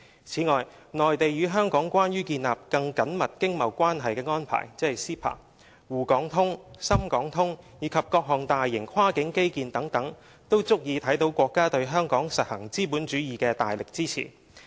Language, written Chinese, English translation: Cantonese, 此外，"內地與香港關於建立更緊密經貿關係的安排"、"滬港通"、"深港通"，以及各項大型跨境基建等，都足以看見國家對香港實行資本主義的大力支持。, Moreover the Mainland and Hong Kong Closer Economic Partnership Arrangement CEPA Shanghai - Hong Kong Stock Connect Shenzhen - Hong Kong Stock Connect as well as the various major cross - boundary infrastructural projects also show the staunch support of the Country to Hong Kong in running a capitalist system